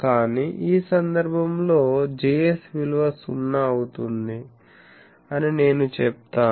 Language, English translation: Telugu, So, that is why I can put that Js is 0